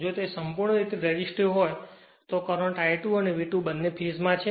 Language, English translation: Gujarati, If it is purely resistive, then your current I 2 and V 2 both are in phase right